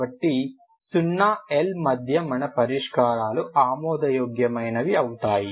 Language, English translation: Telugu, So between 0 to L we have our solutions are valid